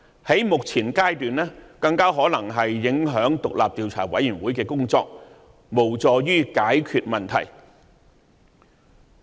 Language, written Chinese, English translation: Cantonese, 在目前階段，更可能影響獨立調查委員會的工作，無助於解決問題。, At the present stage doing so may even affect the work of the Commission but will not help solve the problems